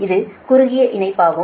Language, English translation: Tamil, so this is a short line